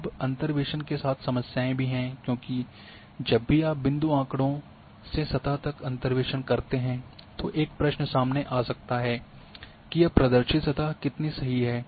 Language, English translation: Hindi, Now problems with interpolations because whenever you interpolate from point data to a surface a question can be asked how accurate this representation is